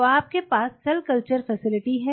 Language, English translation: Hindi, So, you have a cell culture facility